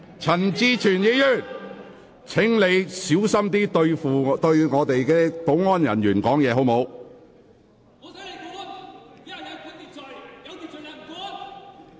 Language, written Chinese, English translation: Cantonese, 陳志全議員，請小心你對保安人員說話的態度。, Mr CHAN Chi - chuen please mind your attitude when you talk to the security staff